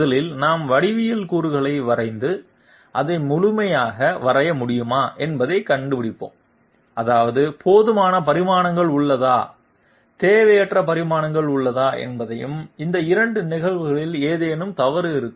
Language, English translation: Tamil, First of all we draw the geometry elements and find out whether we are able to draw it completely that means whether there is adequate dimensions and also whether there is you know redundant dimensions, in both of those cases there will be something wrong